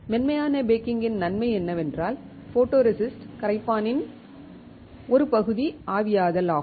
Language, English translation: Tamil, The advantage of soft baking is that there is a partial evaporation of photoresist solvent